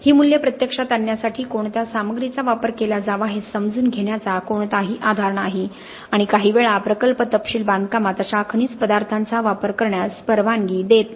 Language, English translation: Marathi, Again there is no basis on understanding what combination of materials should be used to actually get these values and sometimes the project specification may not be even allowing such mineral additives to be used in the construction